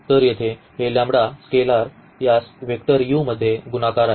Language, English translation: Marathi, So, here this scalar lambda is multiplied to this vector u